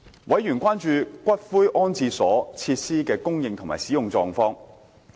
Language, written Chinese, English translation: Cantonese, 委員關注骨灰安置所設施的供應及使用情況。, Members were concerned about the provision and utilization of columbarium facilities